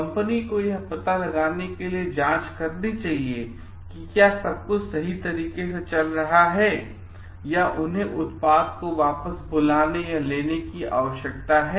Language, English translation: Hindi, The company should check to find out like whether everything is going in a correct way or they need to recall the product